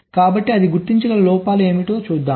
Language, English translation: Telugu, so what are the faults it can detect